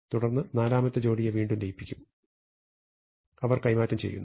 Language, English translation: Malayalam, We merge the third pair and they get exchanged, and we merge the fourth pair again they get exchanged